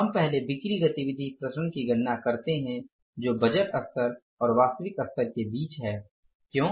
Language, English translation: Hindi, Sales activity variances we first calculate that is between the budget level and the actual level